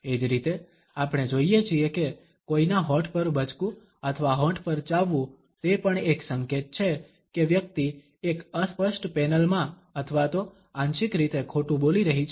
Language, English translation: Gujarati, Similarly, we find that biting on one’s lips or chewing on the lip, it is also an indication that the person may be lying either in a blatent panel or even in partially